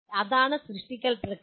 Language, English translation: Malayalam, So that is what is create process